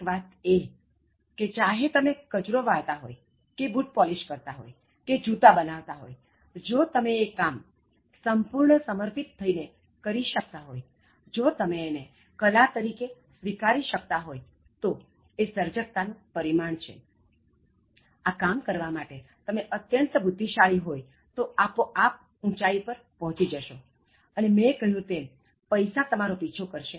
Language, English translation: Gujarati, The fact that, even whether it is sweeping or whether it is polishing the shoes, or making shoes if you are able to do that with utmost devotion and if you are able to take that job as an art, as a creative endeavor and as if you’re the genius in doing that, automatically you will reach great heights and as I said, money will chase you